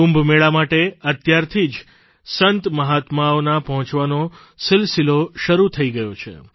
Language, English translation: Gujarati, The process of Sant Mahatmas converging at the Kumbh Mela has already started